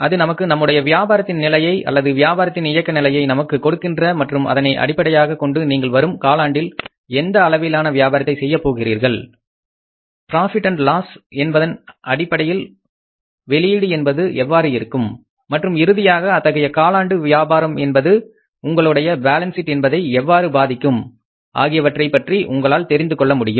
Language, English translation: Tamil, That gives us the level of business, level of business operations and on the basis of that we can find out that whatever the level of business we are going to do for a given quarter, what is going to be the outcome of that in terms of profit and loss and finally how that means quarter's business is going to impact your balance sheet